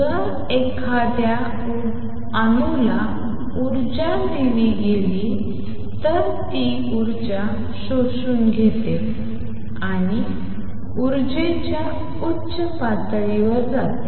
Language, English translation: Marathi, If energy is given to an atom it absorbs energy and goes to the upper energy level